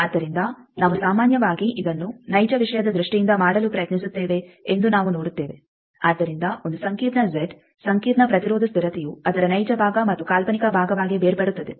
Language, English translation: Kannada, So, here also we will see that we generally try to make this in terms of real thing so a complex Z complex impedance constant that will break into that both its real part and imaginary part